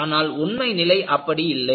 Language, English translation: Tamil, But, that was not the case